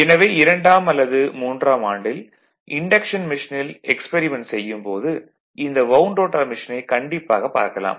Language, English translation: Tamil, So, when you do experiment particularly in your second or third year induction machine experiment, at that time wound rotor machine definitely we will see